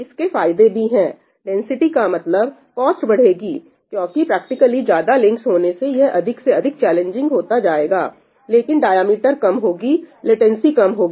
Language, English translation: Hindi, There are benefits of that, density means that the cost goes up because more links practically it starts becoming more and more challenging, but the diameter reduces, latency reduces